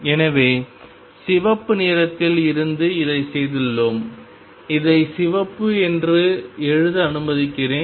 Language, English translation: Tamil, So, from red we have done this one let me write this one as red